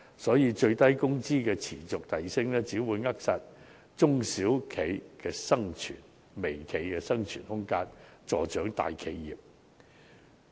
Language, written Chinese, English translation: Cantonese, 因此，最低工資持續遞升只會扼殺中小微企的生存空間，助長大企業。, As such the continual rise in minimum wage will only stifle the vitality of small and micro enterprises and help major enterprises